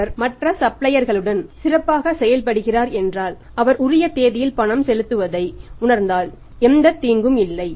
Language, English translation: Tamil, If he is doing well with the other suppliers and he feels making the payment on due date then there is no harm